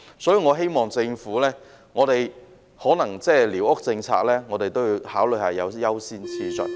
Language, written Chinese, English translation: Cantonese, 所以，我希望在寮屋政策方面，政府也考慮措施的優先次序。, For this reason I hope that in respect of the policy on squatter huts the Government will also consider the priorities of its measures